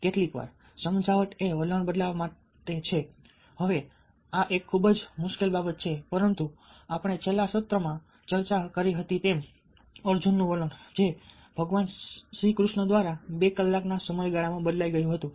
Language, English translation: Gujarati, now, this is a very difficult thing, but, as we discussed in the last session, ah arjuns attitude was changed by lord krishna over a period of two hours